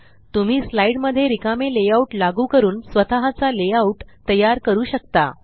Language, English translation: Marathi, You can apply a blank layout to your slide and then create your own layouts